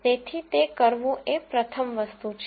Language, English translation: Gujarati, So, that is the first thing to do